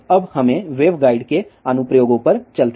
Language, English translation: Hindi, Now let us move on to the applications of wave guides